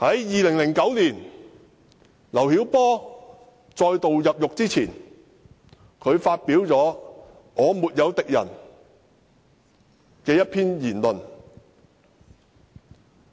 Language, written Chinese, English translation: Cantonese, 2009年，劉曉波再度入獄前發表一篇名為"我沒有敵人"的文章。, In 2009 LIU Xiaobo published an article entitled I have no enemies before he was imprisoned again